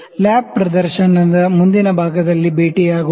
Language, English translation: Kannada, Let us meet in the next part of the lab demonstration